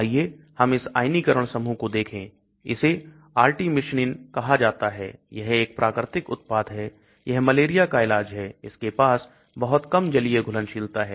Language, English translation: Hindi, Let us look at this ionizable group, this is called Artemisinin, this is a natural product, it is treatment for malaria, it has got a very poor aqueous solubility